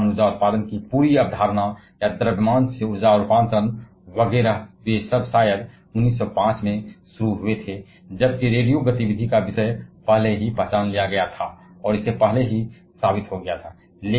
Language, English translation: Hindi, Because this entire concept of nuclear energy generation or mass to energy conversion, etcetera they all started probably in 1905 while the topic of radio activity was already identified and proved before that